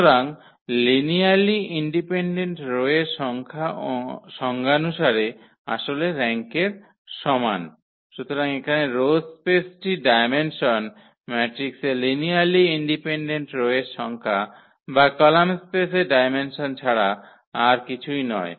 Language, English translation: Bengali, So, the number of linearly independent rows which is actually the definition of again with the rank; so here, the dimension of the row space is nothing but the number of linearly independent rows in the matrix or the dimension of the column space